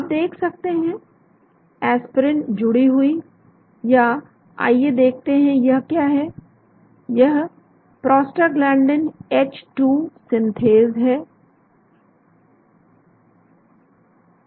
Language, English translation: Hindi, You can see, aspirin bound or what let us see what is it, this is the prostaglandin H2 synthase